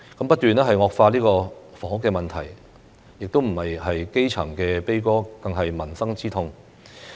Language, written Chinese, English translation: Cantonese, 不斷惡化的房屋問題不止是基層悲歌，更是民生之痛。, The deteriorating housing problem is not only the elegy of the grass roots but also the agony of the people